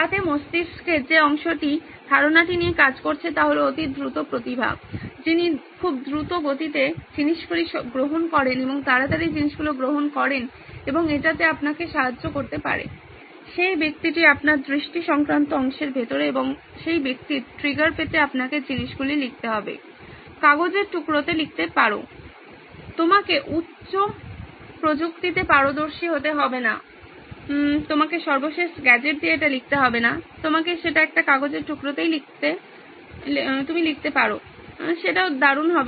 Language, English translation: Bengali, So that the part of the brain that’s working on the idea is a super fast genius who takes things so quickly and rapidly and can help you out with that, that’s the guy inside your visual part of the brain and for that person to get triggered you need to write things down, write it on a piece of paper, you don’t have to be high tech, you don’t have to take the latest gadget and write it on, you can write it on a piece of paper even that’s great